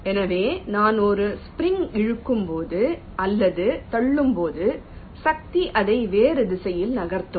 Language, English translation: Tamil, so so whenever i pull or push a spring, or force is exerted which tends to move it back in the other direction, right